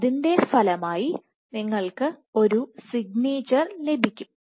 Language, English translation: Malayalam, So, as a consequence you will get the signature